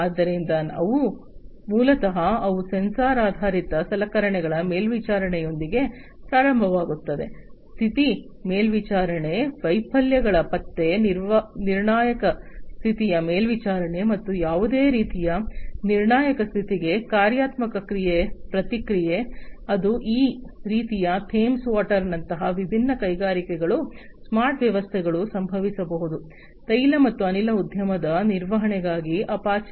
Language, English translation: Kannada, So, these are basically they start with equipment sensor based equipment monitoring the status monitoring, detection of failures, critical condition monitoring, and dynamic response to any kind of critical condition, that might be happening that happens for any kind of this kind of smart systems developed by all these different industries like Thames water by apache for oil and gas industry maintenance, and so on